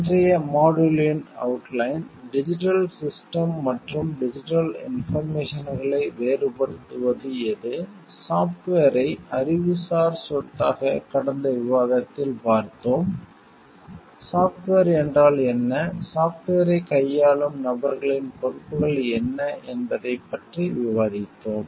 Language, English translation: Tamil, Outline of today s module is what makes a digital systems and digital information different, software as an intellectual property in the last discussion, we have discussed about what is software and what are the responsibilities of people dealing with software